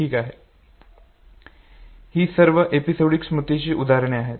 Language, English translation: Marathi, We have seen good number of examples of episodic memory